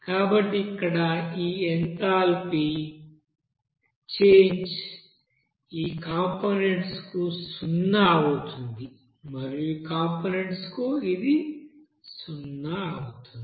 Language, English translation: Telugu, So here this enthalpy change will be equals to zero for these components and for these components it will be zero